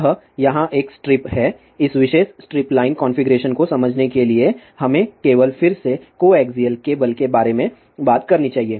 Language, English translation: Hindi, So, what we really have here this is a strip here to understand this particular strip line configuration let us just talk about again coaxial cable